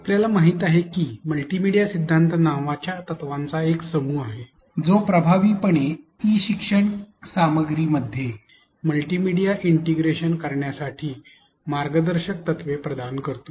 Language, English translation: Marathi, We know that there are a set of principles called multimedia principles which provide guidelines to integrate multimedia in e learning content effectively